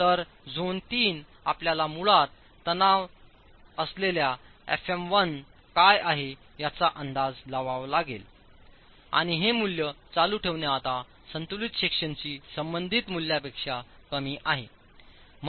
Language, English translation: Marathi, Zone 4 is, so zone 3 you basically have to estimate what is F1 corresponding to the tensile stress f s and continuing this value is now less than the value corresponding to the balance section